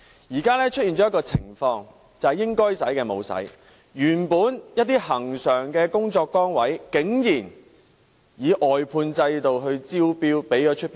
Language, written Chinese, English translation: Cantonese, 現在出現的情況是應該花的沒有花，一些恆常的工作崗位竟然招標外判。, The present situation is that the Government did not spend money where it is due . Some regular posts have surprisingly been outsourced by tender